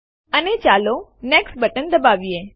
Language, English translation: Gujarati, And let us click on the Next button